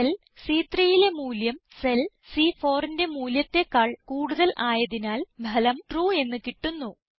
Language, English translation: Malayalam, Since the value in cell C3 is greater than the value in cell C4, the result we get is TRUE